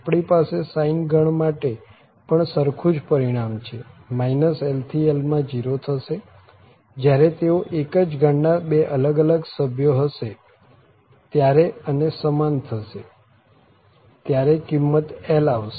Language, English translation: Gujarati, Or minus l to l sin for the sine family also we have the same result that it is 0 when they are two different members of the family and if they are the same then the value is coming as l